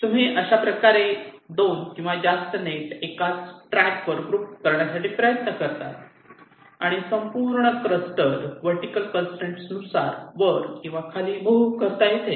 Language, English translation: Marathi, in this way, two or more nets, you try to group them in the same track and move that entire cluster up and down, depending on the vertical constraint that exist between them